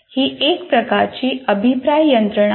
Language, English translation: Marathi, So there is a kind of a feedback mechanism here